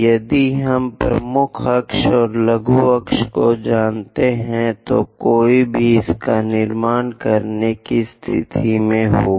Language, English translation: Hindi, If we know major axis, minor axis, one will be in a position to construct this